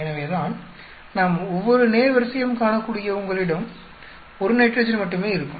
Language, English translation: Tamil, So, that as we can see in each row you will have only 1 nitrogen